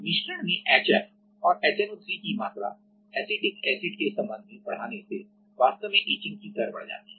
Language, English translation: Hindi, So, increasing HF and HNO3 in with respect to acetic acid actually increases the etching rate